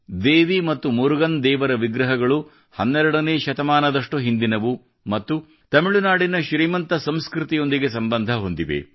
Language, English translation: Kannada, The idols of Devi and Lord Murugan date back to the 12th century and are associated with the rich culture of Tamil Nadu